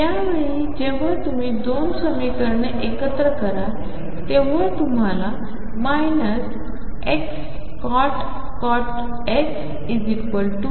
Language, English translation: Marathi, This time when you combine the two equations what you get is minus x cotangent of x is equal to y